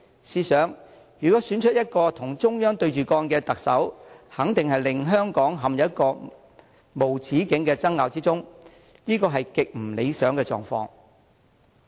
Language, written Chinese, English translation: Cantonese, 試想，如果選出一個與中央對着幹的特首，肯定會令香港陷入無止境的爭拗中。這是極不理想的狀況。, Imagine should Hong Kong elects a Chief Executive who confronts the Central Authorities the city will certainly lapse into endless conflicts which is highly undesirable